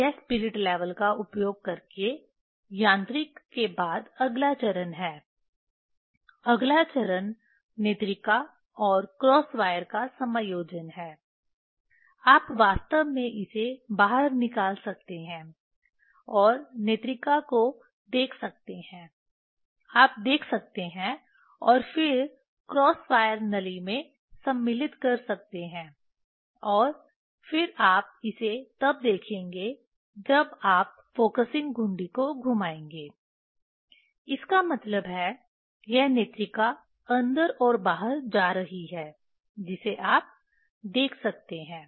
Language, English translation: Hindi, That is the next step after mechanical using the spirit level, the next step is the adjustment of eyepiece and cross wire, you can actually you can take it out and see eyepiece you can see and then you can insert into the cross wire tube and then you will see this when you are rotating the focusing knob; that means, this eyepiece is going in and out that you can see